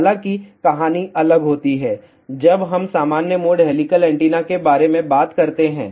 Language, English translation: Hindi, However, story will be different, when we talk about normal mode helical antenna